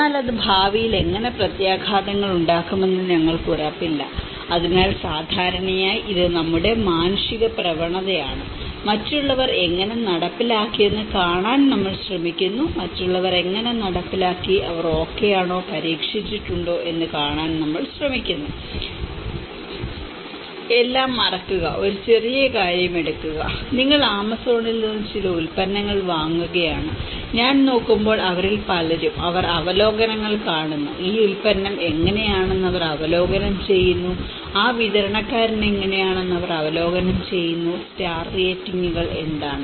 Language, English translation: Malayalam, But then we are not sure how it is going to have a future consequences so, normally it is our human tendency, we try to see that how others have implemented, are they okay, has it been tested, forget about everything, just take a small thing, you are buying some product in Amazon, many of them I have seen when they look at it they see the reviews, they reviews how this product is, they reviews how that supplier is, what is the star ratings